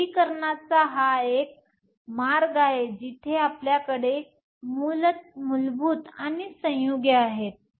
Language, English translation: Marathi, So, this is one way of classification where we have elemental and compound